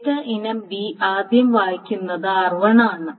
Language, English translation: Malayalam, Now data item B is first read by R1